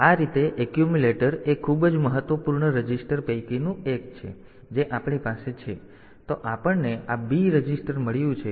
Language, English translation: Gujarati, So, this way this accumulator is one of the very important registers that we have then we have got this B register